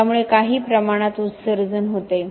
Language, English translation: Marathi, This gives rise to some emissions